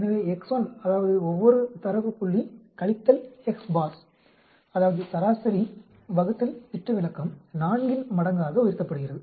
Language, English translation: Tamil, So, xI that means each of the data points minus x bar that is mean divided by standard deviation raise to the power 4